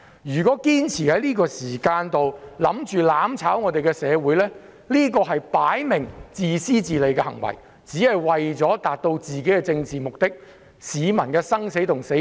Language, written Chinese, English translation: Cantonese, 如果堅持在這個時候"攬炒"社會，明顯是自私自利的行為，為求達到一己的政治目的而置市民的生死於不顧。, Insisting to burn together with society at this juncture is obviously selfish behaviour . These people are trying to achieve their own political objectives without regard to the life and death of the people